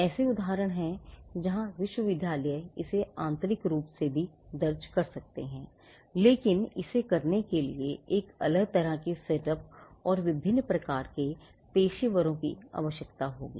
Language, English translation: Hindi, There are instances where the universities can also file it internally, but it will require a different kind of a setup and different kind of professionals to do that